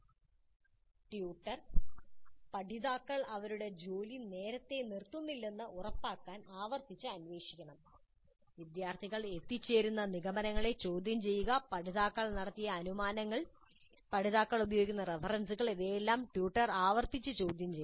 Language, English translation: Malayalam, Must probe repeatedly to ensure learners do not stop their work too early, question the conclusions reached by the students, the assumptions being made by the learners, the references being used by the learners, all these must be questioned by the tutor repeatedly again and again is this assumption correct